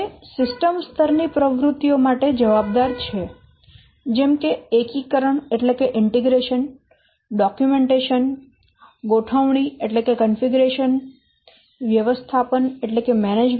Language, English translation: Gujarati, It accounts for system level activities such as integration testing or the integration, documentation, configuration, configuration, etc